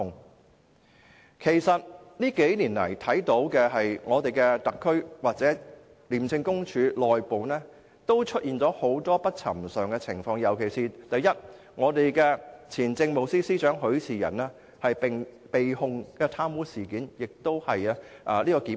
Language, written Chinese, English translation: Cantonese, 過去數年來，特區政府及廉署內部皆出現了很多不尋常的情況，尤其是前政務司司長許仕仁被控貪污，而且是成功檢控。, Over the past few years many abnormalities have taken place in the SAR Government and ICAC . One particular example is that former Chief Secretary for Administration Rafael HUI was charged with bribery and he was successfully prosecuted